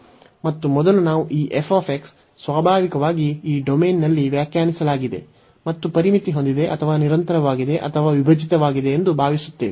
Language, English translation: Kannada, And first we assume that this f x naturally is as defined and bounded or discontinuous or piecewise continuous in this domain